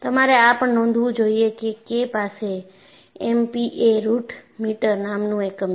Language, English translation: Gujarati, And you should also note down that K has a unit of MP a root meter